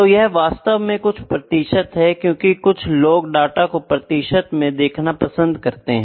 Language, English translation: Hindi, So, this is actually some percentage is there that as some people like to represent the data in the in percentages